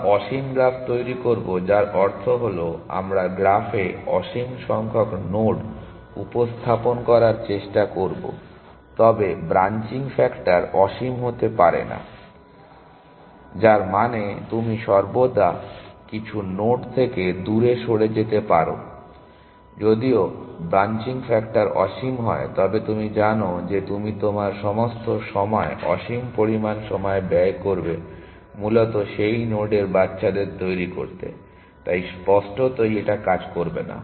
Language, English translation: Bengali, We will allow infinite graph which means that we will allow for infinite number of nodes to be presented in the graph, but branching factor cannot be infinite which mean that you can always move away from some node; if the branching factor was infinite then you know you will spend all your time infinite amount of time generating the children of that